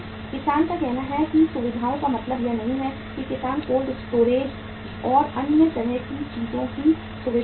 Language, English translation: Hindi, Farmer’s say facilities are not means farmer is not able to have the facilities like of the cold storage and other kind of things